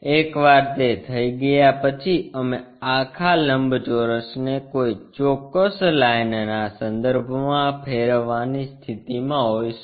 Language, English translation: Gujarati, Once that is done we will be in a position to rotate this entire rectangle with respect to a particular line